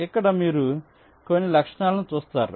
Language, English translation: Telugu, here you look at some of the properties